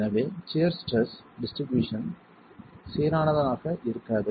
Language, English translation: Tamil, So, the shear stress distribution is not going to be uniform